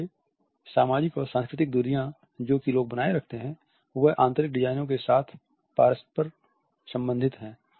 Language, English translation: Hindi, So, social and cultural distances which people maintain are interrelated with interior designs